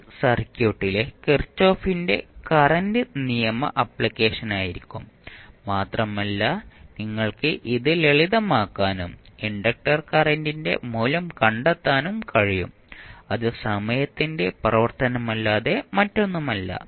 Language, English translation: Malayalam, So, this would be simply the kirchhoff’s current law application in the circuit and you can simplify and you can find the value of il which would be nothing but function of time t